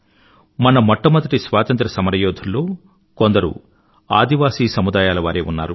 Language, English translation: Telugu, There is no wonder that our foremost freedom fighters were the brave people from our tribal communities